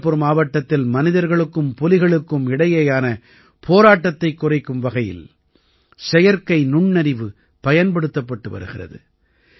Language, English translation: Tamil, The help of Artificial Intelligence is being taken to reduce conflict between humans and tigers in Chandrapur district